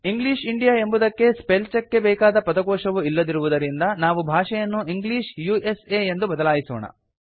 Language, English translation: Kannada, Since English India may not have the dictionary required by spell check, we will change the language to English USA